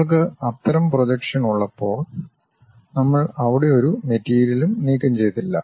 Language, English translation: Malayalam, When we have that kind of projection, we did not remove any material there